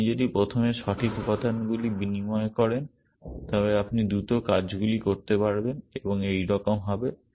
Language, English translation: Bengali, If you exchange the correct elements first then you will do things